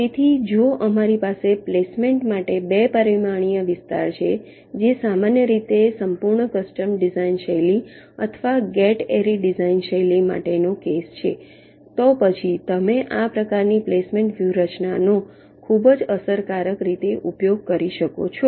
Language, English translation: Gujarati, ok, so if we have a two dimensional area for placement, which is typically the case for a full custom design style or a gate array design style, then you can use this kind of a placement strategy very effectively